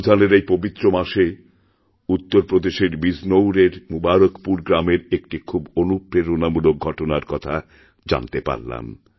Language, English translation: Bengali, In this holy month of Ramzan, I came across a very inspiring incident at Mubarakpur village of Bijnor in Uttar Pradesh